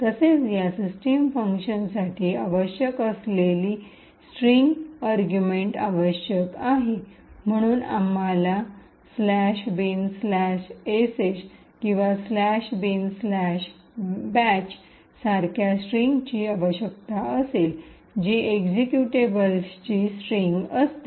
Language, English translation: Marathi, Also what is required is a string argument to this system function, so we will require string such as /bin/sh or /bin/bash, which is a string comprising of an executable